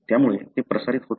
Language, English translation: Marathi, So, it is not transmitted